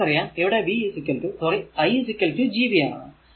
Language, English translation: Malayalam, So, v is equal i is equal to Gv